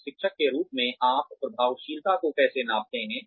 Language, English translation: Hindi, How do you measure effectiveness as a teacher